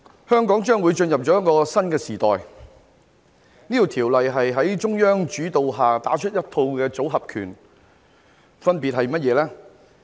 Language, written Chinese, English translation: Cantonese, 香港將會進入一個新時代，《條例草案》是在中央主導下打出的一套"組合拳"的一部分，分別是甚麼呢？, Hong Kong will enter a new era . The Bill is part of a set of combination punches initiated by the Central Authorities what exactly are they?